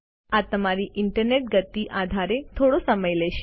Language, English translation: Gujarati, This could take a few minutes depending on your Internet speed